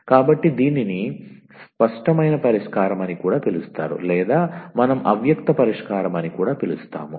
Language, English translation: Telugu, So, called the explicit solution or we also called as a implicit solution